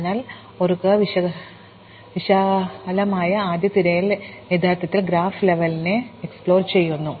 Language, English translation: Malayalam, So, remember, we said that breadth first search actually explores the graph level by level